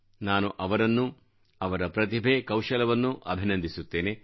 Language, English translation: Kannada, I congratulate and thank those persons for their talent and skills